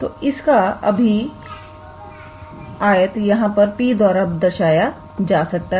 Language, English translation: Hindi, So, that means, this one this here we denoted by P